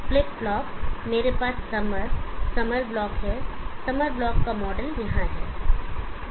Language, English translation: Hindi, The flip flop I have the summer block the model of the summer block is here